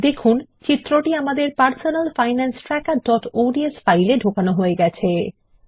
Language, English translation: Bengali, We already have an image in our Personal Finance Tracker.ods file